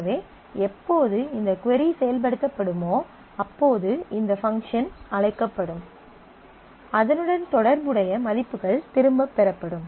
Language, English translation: Tamil, So, whenever I whenever this query will get executed, this function will be called, and the corresponding values will get returned